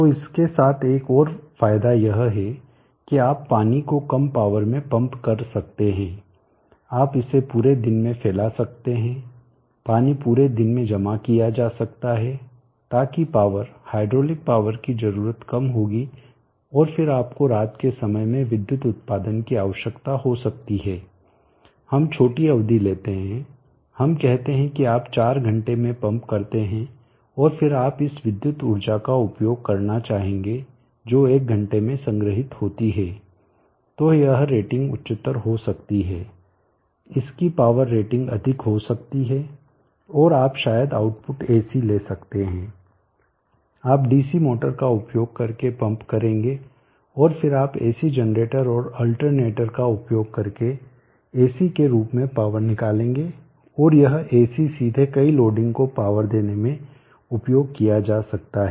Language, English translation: Hindi, So the power the hydraulic power needed will be low and then you may need the electrical output during the night time let us say for a shorter period let us say you pump up in 4 hours and then you would like utilize this electrical energy which is stored in 1 hour then this rating can be higher the power rating of this can be higher and you could probably have the output in AC you will pump up using a DC motor and then you will take out the power in the form of an AC using an AC generator and alternator